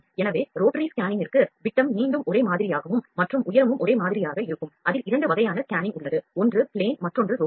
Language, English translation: Tamil, So, for rotary scanning the diameter is again same and height is same with 2 kinds of scanning plane and rotary